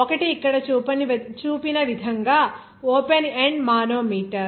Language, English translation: Telugu, One is an open end manometer as shown here